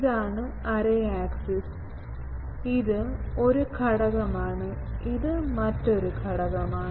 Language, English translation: Malayalam, This is the array axis, this is one element, this is another element